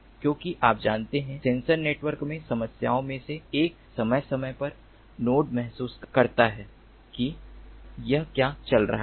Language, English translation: Hindi, because, you know, in sensor networks one of the problems is periodically the nodes